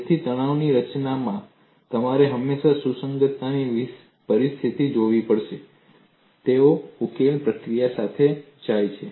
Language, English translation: Gujarati, So, in stress formulation, you will have to always look at compatibility conditions, they go with the solution procedure